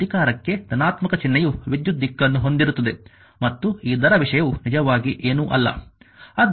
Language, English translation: Kannada, Now in order to power have a positive sign right the direction of current and this rate thing is nothing actually right